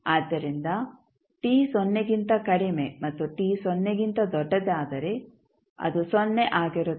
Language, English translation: Kannada, So, for t less than 0 and t greater than 0 it will be 0